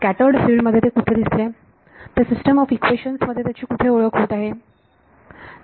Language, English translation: Marathi, In the scattered field where did it appear where is it being introduced into the system of equations